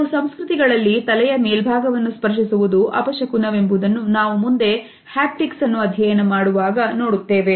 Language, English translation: Kannada, As we shall see in our further discussions particularly our discussions of haptics, we would look at how in certain cultures touching over head is considered to be inauspicious